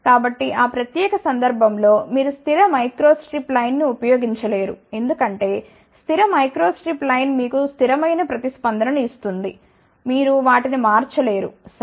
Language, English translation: Telugu, So, in that particular case you cannot use fixed microstrip line, because fixed microstrip line will give you the fixed response ok you cannot change those things ok